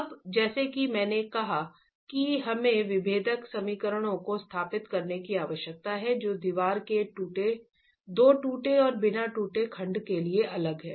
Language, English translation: Hindi, Now, as I said, we need to establish differential equations that are different for the two cracked and uncracked segments of the wall itself